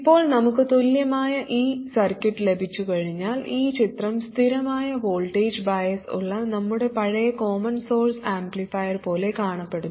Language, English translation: Malayalam, Now once we have this equivalent circuit, this picture looks exactly like our old common source amplifier with constant voltage bias